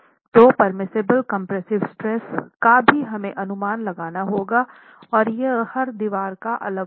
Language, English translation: Hindi, This permissible compressive stress is going to be different for different walls